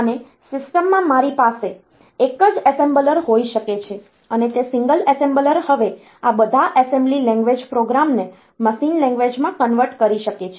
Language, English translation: Gujarati, And in the system, I can have a single assembler, and that single assembler can now convert all these assembly language programs into machine language